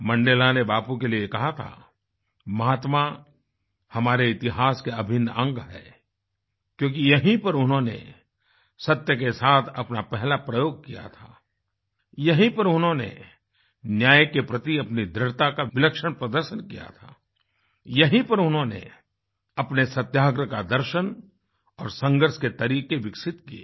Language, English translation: Hindi, Mandela said this about Bapu "Mahatma is an integral part of our history, because it was here that he used his first experiment with truth; It was here, That he had displayed a great deal of determination for justice; It was here, he developed the philosophy of his satyagraha and his methods of struggle